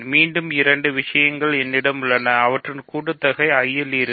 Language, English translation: Tamil, So, I put plus here so, again two things are in I their sum is also in I right